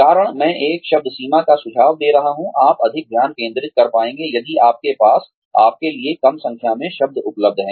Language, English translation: Hindi, The reason, I am suggesting a word limit is that, you will be able to focus more, if you have a fewer number of words, available to you